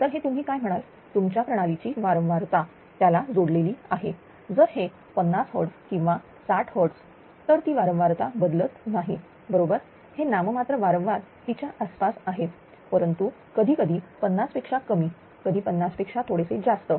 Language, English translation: Marathi, Generally that it is connected to the your your what you call yeah frequency of the system if it is a 50 hertz or 60 hertz that frequency is generally not changing that way right it is around nominal frequency, but sometimes little less than 50 sometimes a little more than 50 right